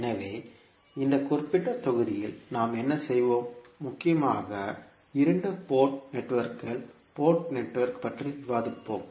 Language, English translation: Tamil, So, what we will do in this particulate module, we will discuss mainly the two port networks